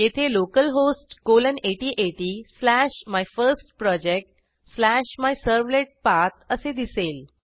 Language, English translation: Marathi, It is localhost colon 8080 slash MyFirstProject slash MyServletPath